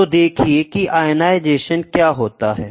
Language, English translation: Hindi, What is ionization